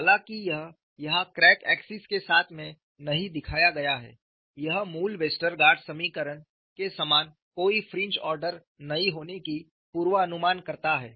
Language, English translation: Hindi, Though, it is not shown here along the crack axes, it predicts no fringe order very similar to the original Westergaard equation; though, this modification was straight, this modification was not useful